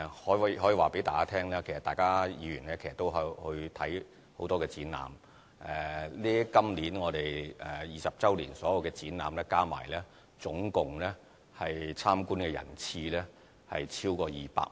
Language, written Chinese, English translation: Cantonese, 我可以告訴大家，其實議員也參觀很多展覽，今年20周年所有展覽加起來，總共參觀人次超過200萬。, I can tell you that Members have also attended many of these exhibitions . The total number of visitors of all the exhibitions for the 20 anniversary is over 2 million